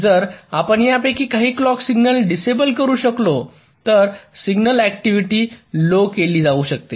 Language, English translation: Marathi, so if we can disable some of these clock signals, then the signal activity can be reduced